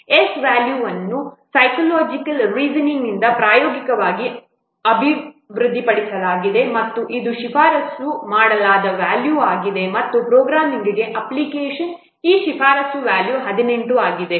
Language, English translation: Kannada, The value of S has been empirical developed from psychological reasoning and it is recommended value and its recommended value for programming application is 18